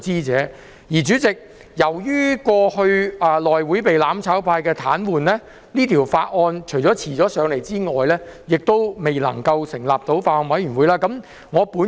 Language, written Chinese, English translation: Cantonese, 代理主席，由於過去內務委員會被"攬炒派"癱瘓，除了令這法案遲交上來外，亦未能成立法案委員會來審議。, Deputy President since the operation of the House Committee was paralysed by the mutual destruction camp for some time in the past the tabling of this Bill at this Council was delayed and a Bills Committee had not been formed to scrutinize it